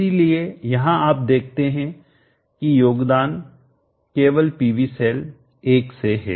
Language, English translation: Hindi, So here you see that the contribution is only from PV cell 1